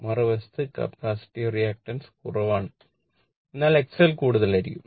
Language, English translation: Malayalam, And in other side capacitance reactance is less, but this one will be X L will be more